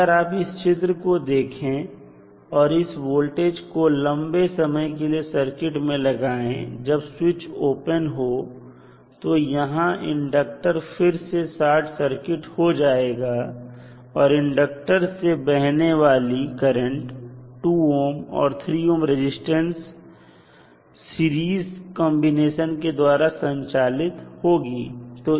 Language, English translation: Hindi, If you see this figure and if you apply voltage this for very long duration with switch is open the inductor will again be short circuited and then the current flowing through the inductor will be driven by the series combination of 2 ohm and 3 ohm resistances